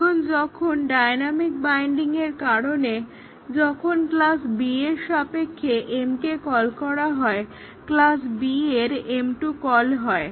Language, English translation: Bengali, So, now when m is called in the context of class B due to a dynamic binding, the m 2 of class B will be called